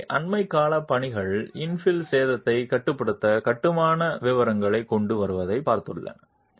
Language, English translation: Tamil, So, recent works have looked at bringing in construction detailing to limit infill damage